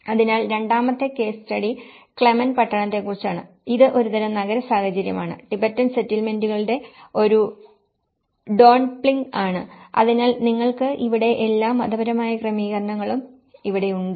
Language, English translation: Malayalam, So, the second case study is about the Clement town and this is a kind of an urban scenario, is a Dondupling of Tibetan settlements, so you have all the religious setting here and there are residential setting over here